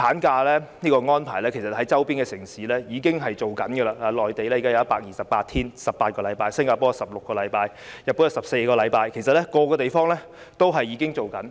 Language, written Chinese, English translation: Cantonese, 主席，周邊城市已經推行產假的安排，內地現時有18個星期產假、新加坡有16個星期、日本有14個星期，每個地方也已經推行。, President our neighbouring cities have already implemented a better maternity leave arrangement . Currently maternity leave entitlement on the Mainland is 18 weeks 128 days; 16 weeks in Singapore; 14 weeks in Japan . All places have a better entitlement